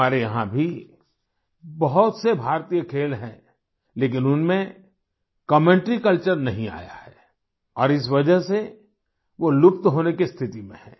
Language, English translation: Hindi, Here too, we have many Indian sports, where commentary culture has not permeated yet and due to this they are in a state of near extinction